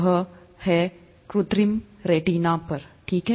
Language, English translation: Hindi, This is on artificial retina, okay